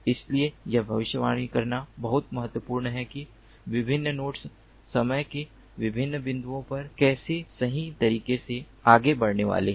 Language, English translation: Hindi, so it is important to predict how the different nodes are going to move at different points of time accurately